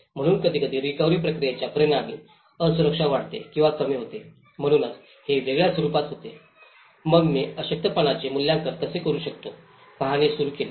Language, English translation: Marathi, So sometimes, the vulnerability gets increased or decreased as a result of the recovery process, so that is where it takes into a different form, then I started looking at how one can assess the vulnerability